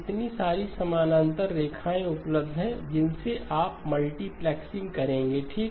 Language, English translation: Hindi, So many parallel lines are available from which you will do the multiplexing okay